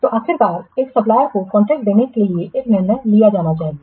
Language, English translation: Hindi, So, finally a decision has to be made to award the contract to a supplier